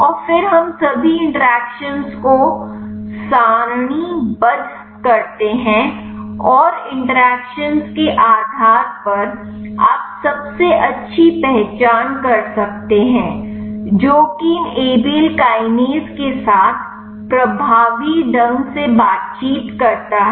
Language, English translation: Hindi, And then we tabulate all the interactions and based on the interactions you can identify the best one, which is interact effectively with these Abl kinase